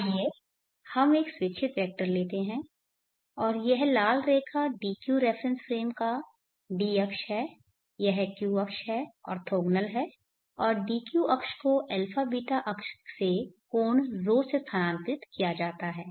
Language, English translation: Hindi, And this red line is the D axis of the DQ reference frame this is the Q axis orthogonal and the DQ axis is shifted from the abeeta axis by an angle